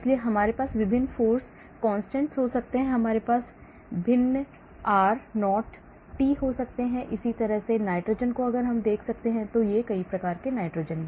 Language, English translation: Hindi, so you may have different force constants, you may have different r 0t values and similarly look at this nitrogen, so many types of nitrogen